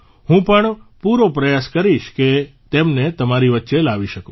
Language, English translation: Gujarati, I will also try my best to bring them to you